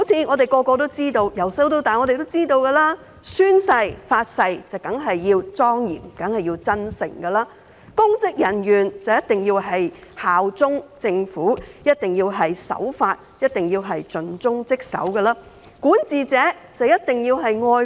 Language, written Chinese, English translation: Cantonese, 每個人自小便知道，宣誓、發誓當然要莊嚴和真誠，公職人員一定要效忠政府，一定要守法，一定要盡忠職守，而管治者便一定要愛國。, As everyone has known since childhood taking an oath must of course be solemn and sincere; public officers must bear allegiance to the Government abide by the law and be dedicated to their duties; and the person who governs must be patriotic